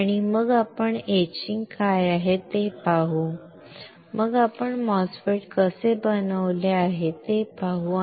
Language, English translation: Marathi, And then we will see what are the etching techniques, then we will see how the MOSFET is fabricated